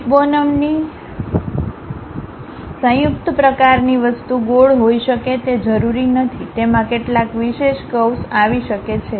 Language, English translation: Gujarati, It is not necessary that the hip bone joint kind of thing might be circular, it might be having some specialized curve